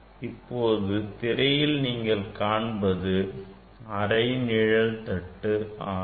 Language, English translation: Tamil, that you are seeing the image of the, you are seeing this half shade plate